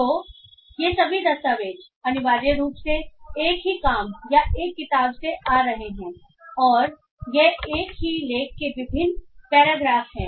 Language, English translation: Hindi, So all these documents are essentially coming from this from a single work or a single book and these are different paragraphs of the same article